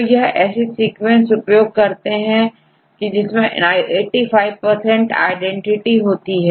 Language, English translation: Hindi, So, get the eighty five percent of sequence identity